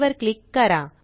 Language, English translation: Marathi, Click on Add